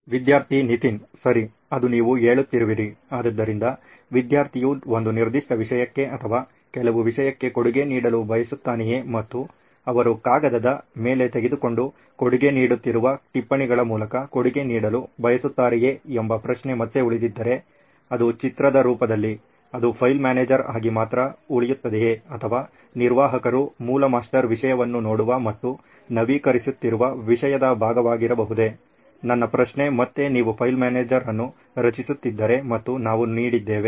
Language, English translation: Kannada, Okay that is what you are saying, so if again my question remains as to whether if a student wants to contribute to a certain subject or certain content and he wants to contribute through the notes that he has taken on paper and is contributing it in the form of image, would it remain only the file manager or would it be part of the content that the admin is seeing and updating the original master content, my question again is like if you are creating a file manager and we have given the option to the students to upload is image only in the file manager, would the admin have access to these contents so that he can use that contain to upload the master, update the master content